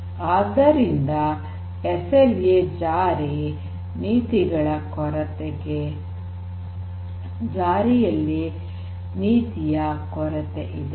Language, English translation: Kannada, So, there is lack of SLA enforcement policies